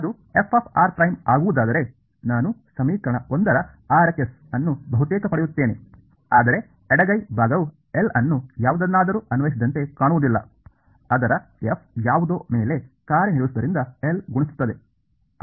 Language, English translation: Kannada, If it will become f of r prime right so, I will get the RHS of equation 1 almost, but the left hand side does not look like L applied to something, its f multiplied by L acting on something